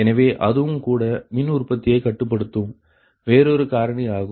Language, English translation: Tamil, so that is also another factor that influence the power generation